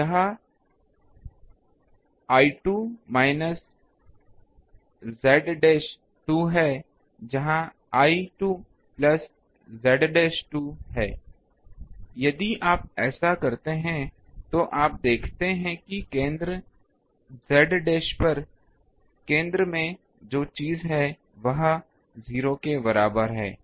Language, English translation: Hindi, So, here it is l 2 minus z dash 2 here it is l 2 plus z dash 2 if you do that then you see, what is the thing at the center at the center z dash is equal to 0